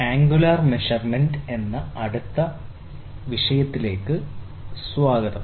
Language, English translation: Malayalam, Welcome to the next topic of discussion which is on Angular Measurement